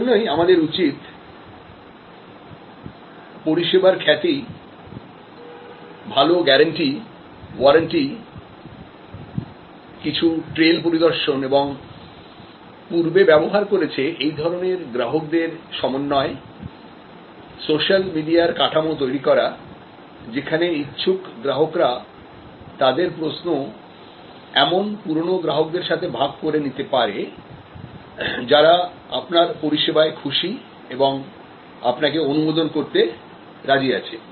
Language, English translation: Bengali, And so we need to establish a good framework of reputation, guarantee, warranty some trail visits and good network of previous users, social media setup for intending customers to share their queries with past customers who are happy and ready to endorse you and so on